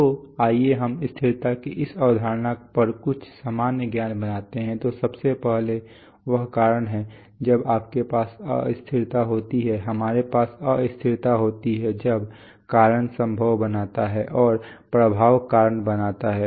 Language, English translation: Hindi, So let us make some common sense on this concept of stability, so first is that cause, when do you have instability, we have instability when cause builds effect and effect builds cause right